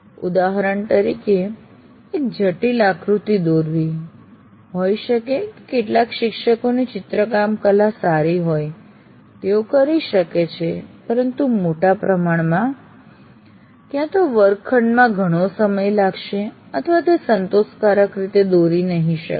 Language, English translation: Gujarati, For example, you to draw a complex figure, maybe some faculty members have good drawing skills they may be able to do, but by and, complex figures, either it will take too much of time in the classroom or they may not be written satisfactor, they may not be drawn satisfactorily